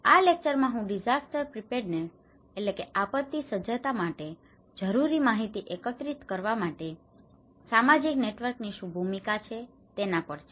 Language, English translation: Gujarati, In this lecture, I will focus on what is the role of social networks to collect information that is necessary for disaster preparedness